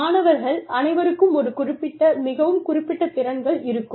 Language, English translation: Tamil, They all have, is a specified, very specific skills set